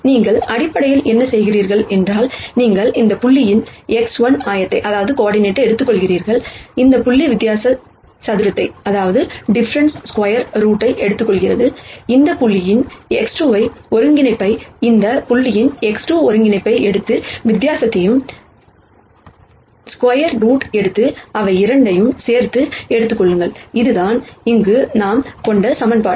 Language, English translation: Tamil, Where what you do basically is, you take the x 1 coordinate of this point and this point take the difference square it, take the x 2 coordinate of this point the x 2 coordinate of this point, take the di erence and square it add both of them and take a root and that is the equation that we have here